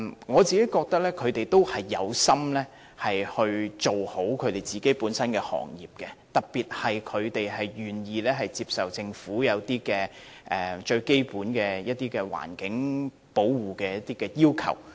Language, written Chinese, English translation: Cantonese, 我認為他們有心做好本身的行業，特別是他們願意接受政府就保護環境提出的一些基本要求。, I think they have the intent to enhance the performance of the industry particularly in environmental protection for they are prepared to accept certain basic requirements proposed by the Government